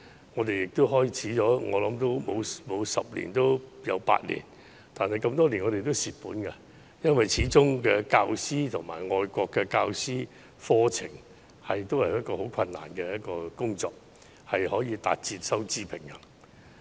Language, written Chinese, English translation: Cantonese, 我想有關課程已經辦了十年八載，但多年來我們都是虧蝕的，因為始終任用教師以至教授課程，都是很困難的工作，難以達至收支平衡。, As I understand it the programmes have been operated for almost a decade but over the years we have been running a loss because it is very difficult to recruit teachers for teaching the programmes making it difficult to attain a breakeven